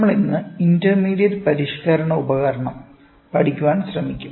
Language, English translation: Malayalam, We will today try to cover intermediate modifying device